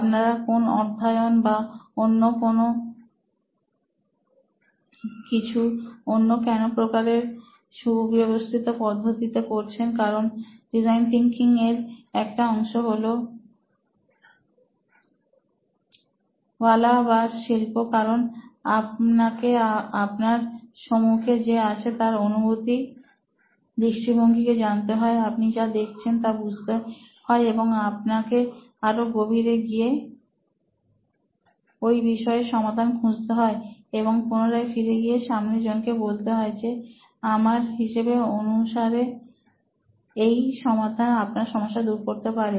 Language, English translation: Bengali, Is there any study or anything that you guys did systematically so because design thinking is one part of it is art in the sense that you have to empathize with the audience, you have to really get to know what you are observing but you are going a level deeper and then you are trying to solve that issue and then you are finally going back to them this is what I think will solve it for you